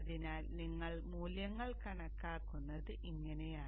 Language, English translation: Malayalam, So this is how you calculate the value of